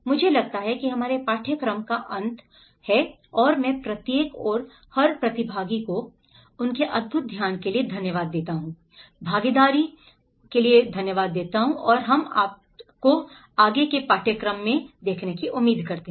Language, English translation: Hindi, I think thatís end of our course and I thank each and every participant for their wonderful participation and we hope to see you in further courses